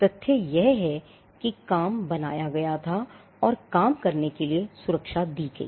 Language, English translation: Hindi, The fact that the work was created granted protection to the work